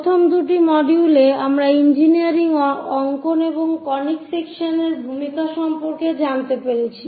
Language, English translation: Bengali, In the first two modules, we have learned about introduction to engineering drawings and conic sections